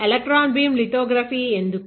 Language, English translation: Telugu, Now, why electron beam lithography